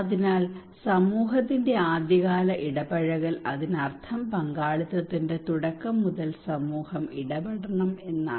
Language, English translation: Malayalam, So early engagement of the community it means that community should be involved from the very beginning of the participations